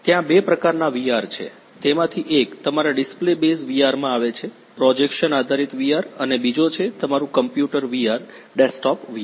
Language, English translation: Gujarati, There are two kinds of VR that is one is your come display base VR, projection based VR and second is your computer VR desktop VR